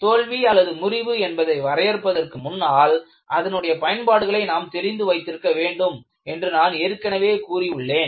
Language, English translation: Tamil, I have already said, before you define what failure is, you will have to understand your application